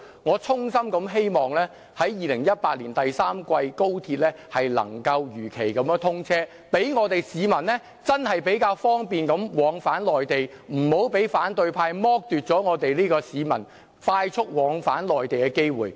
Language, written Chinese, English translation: Cantonese, 我衷心希望高鐵能夠在2018年第三季如期通車，讓市民較方便地往返內地，不要被反對派剝奪市民快速往返內地的機會。, I sincerely hope that XRL can be commissioned in the third quarter of 2018 so that the public can travel to and from the Mainland more conveniently . The opposition camp should not deprive the public of their opportunity of having a mode of transport which enables them to travel swiftly to and from the Mainland